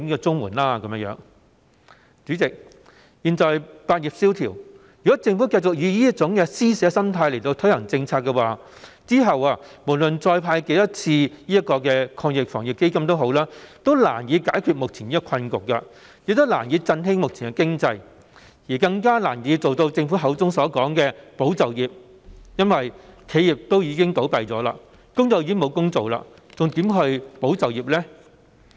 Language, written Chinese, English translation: Cantonese, 主席，現時百業蕭條，如果政府繼續以這種施捨心態推行政策，則無論再成立多少個防疫抗疫基金，最後也難以解決目前的困局，難以振興目前的經濟，更難以做到政府所說的"保就業"，因為企業已經倒閉，工友沒有工作，還如何"保就業"呢？, President at present all business languishes . If the Government continues to launch its policies with an almsgiving mentality then no matter how many Anti - epidemic Fund will be launched the present predicament cannot be solved the current economy cannot be boosted and even the Governments objective of supporting employment cannot be achieved . How can employment be supported when enterprises have closed down and no jobs are available?